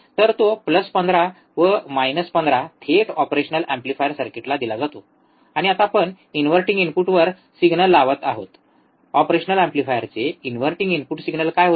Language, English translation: Marathi, So, that plus 15 minus 15 is directly given to the operational amplifier circuit, and now we are applying the signal at the inverting input, inverting input of the operational amplifier, what was a single